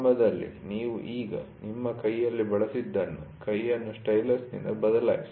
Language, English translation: Kannada, You initially what you used as your hand now, replace the hand by a stylus